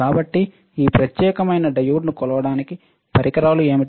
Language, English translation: Telugu, So, what is equipment to measure this particular diode